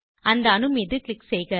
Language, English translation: Tamil, Click on the atom